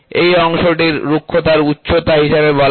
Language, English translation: Bengali, So, this portion is called as roughness height